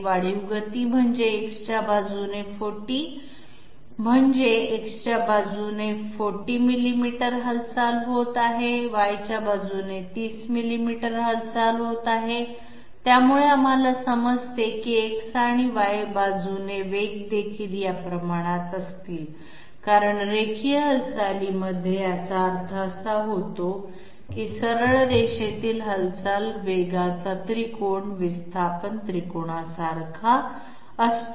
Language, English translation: Marathi, Incremental motion means 40 along X that means 40 millimeters of movement is taking place along X, 30 millimeters of movement is taking along Y taking place along Y, so we understand that the velocities along X and Y will also be in this ratio because in linear movement that means in straight line movement, the velocity triangle is similar to the displacement triangle